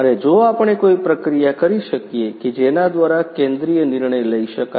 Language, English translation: Gujarati, And if we can have a process by which centralized decisions can be made